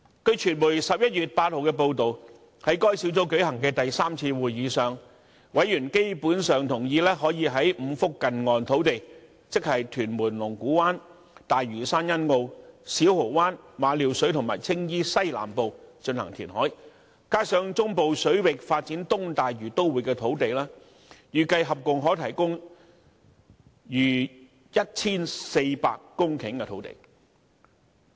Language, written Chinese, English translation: Cantonese, 據傳媒11月8日的報道，在該小組舉行的第三次會議上，委員基本上同意可以在5幅近岸土地，即屯門龍鼓灘、大嶼山欣澳、小蠔灣、馬料水及青衣西南部進行填海，加上在中部水域發展東大嶼都會的土地，預計合共可提供逾 1,400 公頃的土地。, According to media reports on 8 November members of the Task Force basically agreed at their third meeting that reclamation could be carried out at five near - shore sites namely Lung Kwu Tan in Tuen Mun Sunny Bay on Lantau Island Siu Ho Wan Ma Liu Shui and Southwest Tsing Yi . Together with the land for developing the East Lantau Metropolis in the Central Waters it is estimated that more than 1 400 hectares of land can be provided in total